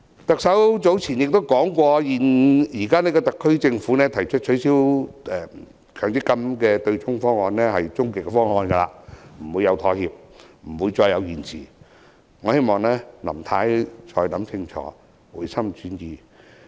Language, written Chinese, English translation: Cantonese, 特首早前曾說，現時特區政府提出的取消強積金對沖方案是終極方案，不會再妥協，不會再延遲，我希望林太可以考慮清楚，回心轉意。, The Governments proposal to abolish the offsetting arrangement under the MPF System is according to what the Chief Executive said earlier the ultimate proposal . There will not be any compromise or delay . I hope Mrs Carrie LAM can consider carefully and change her mind